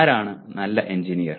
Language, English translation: Malayalam, And who is a good engineer